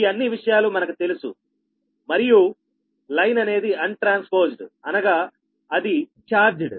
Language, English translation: Telugu, all these things are known and line is untransposed, right, that means that is charged